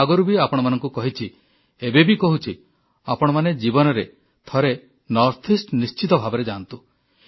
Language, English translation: Odia, As I have said before, and I emphasize, that you must visit the northeast in your lifetime